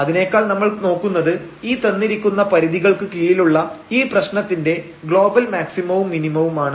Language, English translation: Malayalam, But rather we will look for just the global maximum minimum of the problem under that given constraint